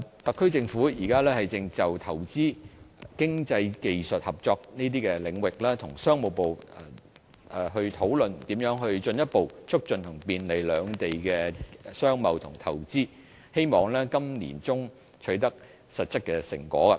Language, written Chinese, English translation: Cantonese, 特區政府現正就投資、經濟技術合作等領域，與商務部討論如何進一步促進和便利兩地的商貿和投資，希望今年年中會取得實質成果。, The SAR Government is now discussing with the Ministry of Commerce on how to further facilitate trade and investment of the two side through investment economic and technical cooperation . We anticipate that concrete results can be obtained by the middle of this year